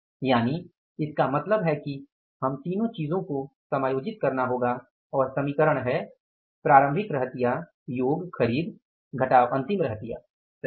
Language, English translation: Hindi, So, it means we have to adjust all the three things and the equation is opening stock plus purchases minus closing stock